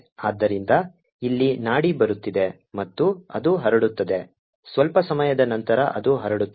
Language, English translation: Kannada, so here is the pulse coming and it is getting transmitted after sometime